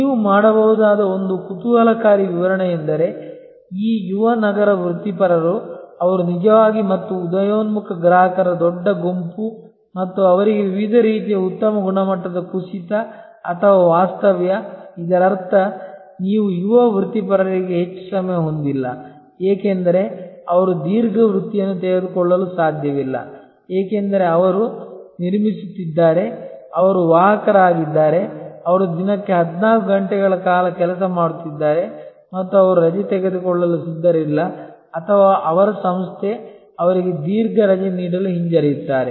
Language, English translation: Kannada, An interesting explanation that you can do is this young urban professionals they are actually and emerging big group of consumers and for them different types of very high quality crash or staycations; that means, you this young professionals you do not have much of time they cannot take a long vocation, because they are building, they are carrier, they are working a 14 hours a day and they are not prepared to take leave or their organization is reluctant to give them long leave